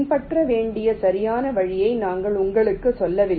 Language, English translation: Tamil, we do not tell you the exact route to follow